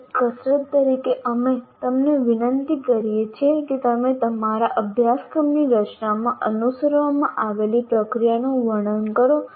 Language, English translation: Gujarati, And as an exercise, we request you to describe the process you follow in designing your course, whatever you are following